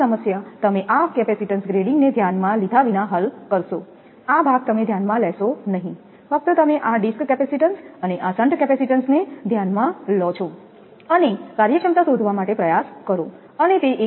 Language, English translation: Gujarati, Same problem you will solve without considering this capacitance grading, this part you will not consider, only you consider this disc capacitance and this shunt capacitance, and try to find out efficiency and compare that one with 86